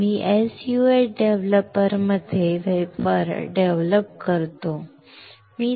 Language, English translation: Marathi, We develop the wafer in a SU 8 developer